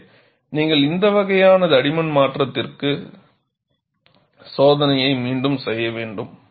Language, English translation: Tamil, So, you will have to go for this kind of change in thickness and redo the test